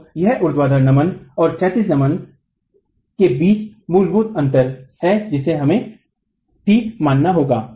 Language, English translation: Hindi, So that's the fundamental difference between the vertical bending and the horizontal bending that we will have to assume